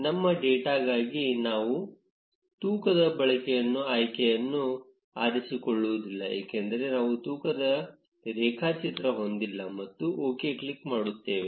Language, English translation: Kannada, For our data, we will unselect the use weight option, because we do not have a weighted graph and click on ok